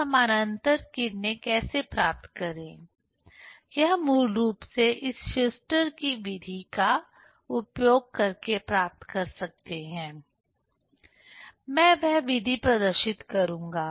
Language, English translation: Hindi, So, how to get parallel rays, that basically one can get using this Schuster s method; that method I will demonstrate